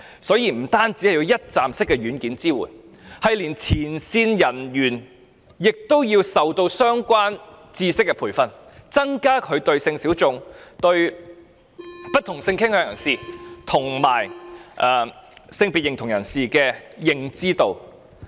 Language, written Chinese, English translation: Cantonese, 所以，除了一站式的"軟件"支援之外，連前線人員亦需要接受相關的知識培訓，增加他們對性小眾、不同性傾向人士及不同性別認同人士的認知。, Therefore apart from one - stop software support training on the relevant knowledge should also be provided to frontline personnel to enhance their awareness of the needs of sexual minorities as well as people of different sexual orientations or gender identities